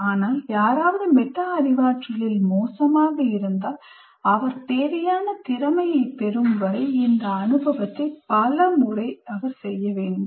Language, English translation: Tamil, But if somebody is poor in metacognition, he needs to undergo this experience several times until he picks up the required skill